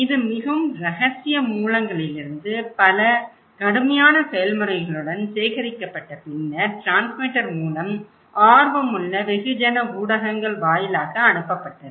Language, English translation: Tamil, Like, it was collected from very secret sources but with a lot of rigorous process then the transmitter particularly the mass media they are interested